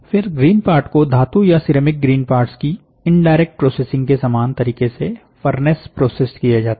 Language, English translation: Hindi, The green part is then furnace processed in a manner identical to indirect processing of metal and ceramic green parts